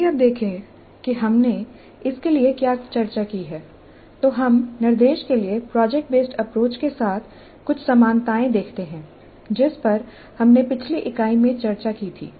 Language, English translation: Hindi, Now if you look at what we have discussed so far we see certain number of similarities with the project based approach to instruction which we discussed in the previous unit